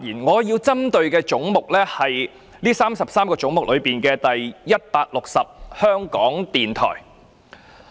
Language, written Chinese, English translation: Cantonese, 我針對的是這33個總目中的總目 160： 香港電台。, Among the 33 heads I will focus on Head 36―Radio Television Hong Kong